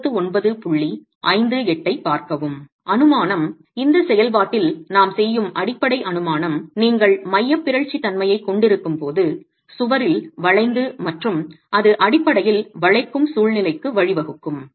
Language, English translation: Tamil, The assumption, the basic assumption that we make in this process here, we are looking at when you have eccentricity, there is bending in the wall and that can basically lead to a situation of buckling